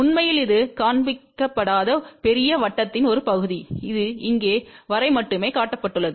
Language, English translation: Tamil, Actually this is a part of the big circle which is not shown, it is only shown up to here